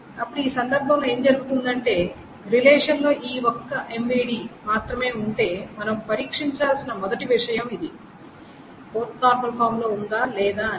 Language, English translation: Telugu, Now what happens in this case is, so if this is the only MVD that is there, the first thing we need to test is whether this is 4NF or not